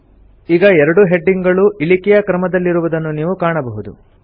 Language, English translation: Kannada, You see that both the headings get sorted in the descending order